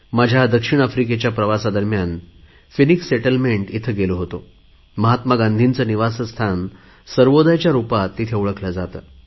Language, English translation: Marathi, During my South Africa tour, I visited Phoenix settlement where Mahatma Gandhi's home is known as 'Sarvodaya'